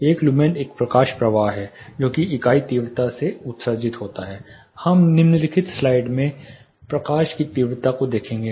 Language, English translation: Hindi, One lumen is a light flow emitted by a unit intensity; we will look at what is light intensity in the following slide